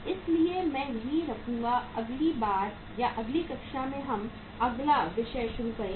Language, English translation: Hindi, So I will stop here and next time or in the next class we will start the next topic